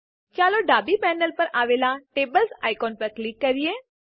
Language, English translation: Gujarati, Let us click on the Tables icon on the left panel